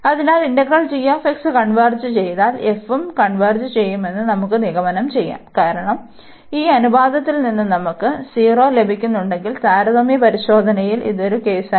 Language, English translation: Malayalam, So, if this g x integral g x converges, then we can conclude that the f will also converge, because from this ratio if we are getting this 0 and that was one case in the comparison test